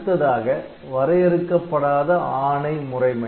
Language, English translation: Tamil, Then there is one undefined instruction mode